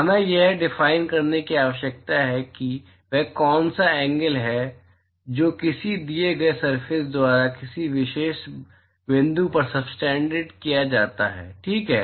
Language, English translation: Hindi, We need to define what is the angle that is subtended by a given surface to a particular point ok